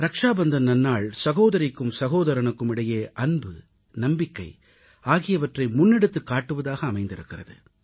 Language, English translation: Tamil, The festival of Rakshabandhan symbolizes the bond of love & trust between a brother & a sister